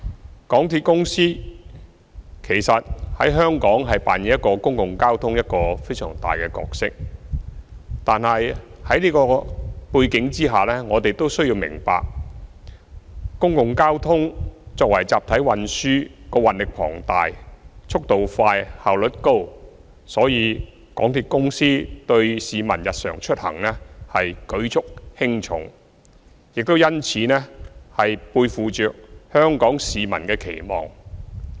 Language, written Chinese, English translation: Cantonese, 香港鐵路有限公司在香港的公共交通扮演一個非常重要的角色，在這個背景下，我們要明白港鐵作為公共交通的集體運輸系統，運載力龐大、速度快、效率高，所以，港鐵對市民日常出行舉足輕重，背負着香港市民的期望。, The MTR Corporation Limited MTRCL plays a very important role in Hong Kongs public transport system . In this context we understand that MTRCL being a mass transit system with an enormous carrying capacity and of great speed and high efficiency is vital to peoples daily travel and carries peoples expectations on its shoulders